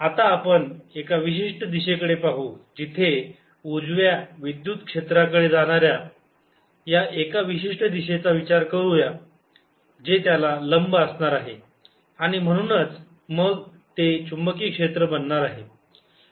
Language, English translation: Marathi, let us look at one particular direction going to the write, electric field is going to be perpendicular to that and source is going to be magnetic field